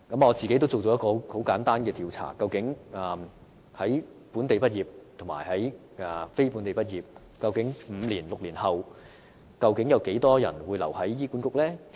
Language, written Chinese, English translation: Cantonese, 我曾進行一項簡單的調查，看看本地畢業和非本地畢業的醫生在5至6年後，究竟有多少人會留在醫管局工作？, I have conducted a simple survey on the respective numbers of local graduates and non - local graduates remaining in HA five to six years after graduation